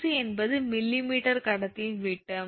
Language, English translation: Tamil, And dc is diameter of conductor in millimeter right